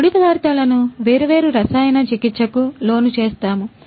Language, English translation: Telugu, These raw materials we would be subjected to different chemical treatment